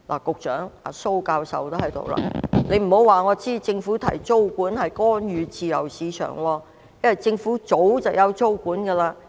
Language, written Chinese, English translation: Cantonese, 局長——蘇教授也在席——請不要告訴我，政府提出租管，是干預自由市場，因為政府早已推行租管。, Secretary―Prof Raymond SO is also present―please do not tell me that the Government will be interfering with the free market if it proposes tenancy control since the Government has long implemented such control